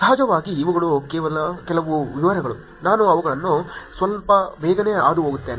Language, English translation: Kannada, Of course, these are some details, I will go through them slightly quickly